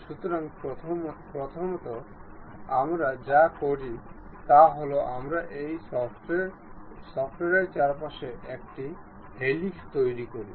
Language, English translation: Bengali, So, first for that what we do is we construct a helix around this shaft